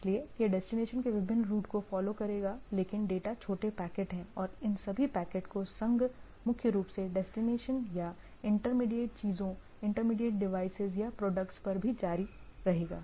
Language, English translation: Hindi, So, the it will follow different routes to the destination, but data is small packets and that the union of all these packets are primarily at the destination or intermediate things, intermediate devices or product also will to continue